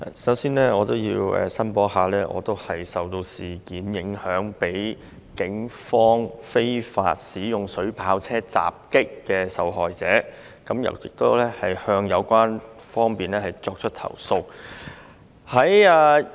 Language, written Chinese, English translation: Cantonese, 首先我要申報，我是被警方非法使用水炮車襲擊的受害者，亦已向有關方面作出投訴。, First of all I must declare that I am a victim in the unlawful attack launched by the Polices water cannon vehicle . I have already lodged a complaint with the authorities